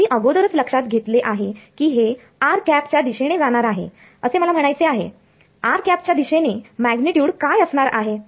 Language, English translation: Marathi, You already noted that it's going to be in a direction in the r hat direction I mean in the r hat direction what will be the magnitude